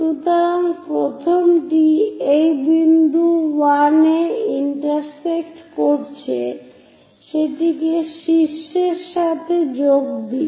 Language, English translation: Bengali, So, the first one is intersecting at this point 1, join that with apex